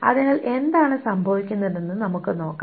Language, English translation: Malayalam, So let us just see what happens